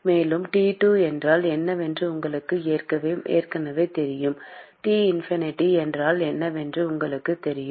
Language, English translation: Tamil, And you know what T2 is already, you know what T infinity is